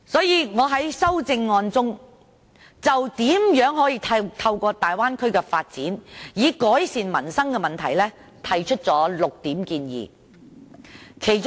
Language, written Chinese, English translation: Cantonese, 因此，我在修正案中就如何透過大灣區的發展改善民生的問題，提出了6點建議。, Therefore my amendment puts forth six recommendations on improving peoples livelihood through the development of the Bay Area